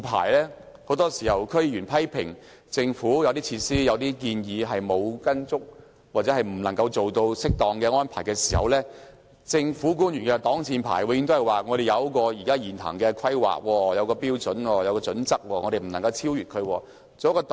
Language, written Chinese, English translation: Cantonese, 區議員很多時批評政府的一些設施、建議沒有按原來計劃或未能作出適當的安排，政府官員的擋箭牌永遠都是："我們有一個現行的規劃、標準及準則，是不能超越的。, Members of the District Councils often criticize the Government for failing to provide certain facilities or proceed with certain proposals as planned or failing to make appropriate arrangements . In response government officials will always say We should follow the existing plans standards and guidelines and cannot go beyond them